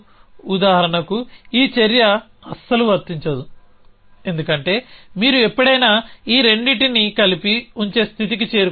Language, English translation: Telugu, For example, this action will not be applicable at all, because you will ever reach a state where you a holding both these things together